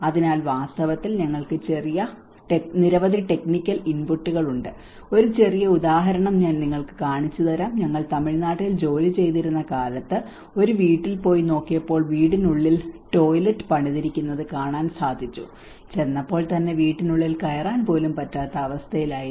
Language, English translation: Malayalam, So, in fact, we have many technical inputs you know I will show you a small example when we were working in Tamil Nadu, we went to a house and we could able to see that we have built a toilet inside the house and the moment we went we were unable to get even inside the house